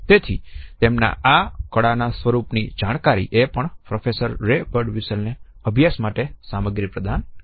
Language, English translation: Gujarati, So, his insights into the art form also provided a study material to Professor Ray Birdwhistell